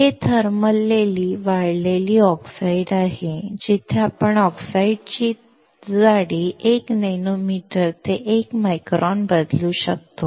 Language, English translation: Marathi, This is thermally grown oxides where we can vary the thickness of the oxide from 1 nanometer to 1 micron